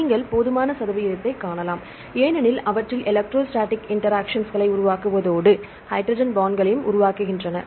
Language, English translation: Tamil, You can see sufficient percentage because they tend to form electrostatic interactions as well as form the hydrogen bonds